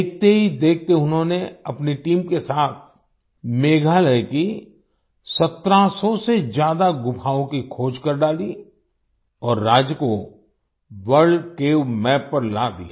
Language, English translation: Hindi, Within no time, he along with his team discovered more than 1700 caves in Meghalaya and put the state on the World Cave Map